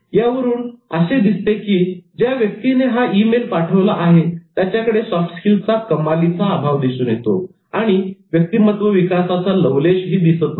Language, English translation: Marathi, All were indicating that the person who sent it utterly lacked soft skills and no sense of personality development